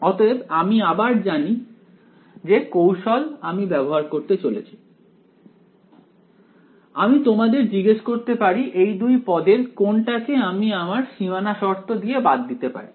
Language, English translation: Bengali, So, again now we know what tricks to play now, right we can ask of these two terms can I eliminate at least one term by boundary conditions alright